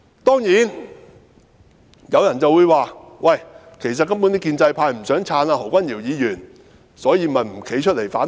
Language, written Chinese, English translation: Cantonese, 當然，有人會說，其實建制派根本不想"撐"何君堯議員，所以便沒有站出來反對。, Of course some people may say that the pro - establishment camp actually have no intention to support Dr Junius HO so they did not come forward to raise objection